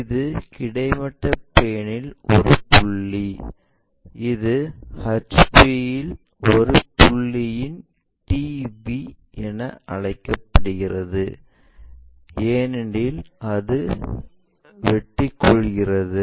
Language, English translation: Tamil, And this is a point on horizontal plane, and it is called TV of a point in HP also; top view of a point in horizontal plane, because it is intersecting when you are looking for